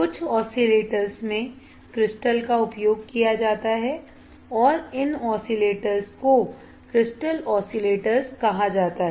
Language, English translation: Hindi, In some oscillators, crystals are used, and these oscillators are called crystal oscillators